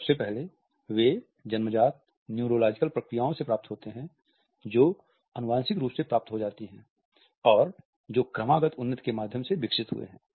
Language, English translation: Hindi, Firstly, they are acquired from innate neurological processes which are passed on genetically and which have developed through evolution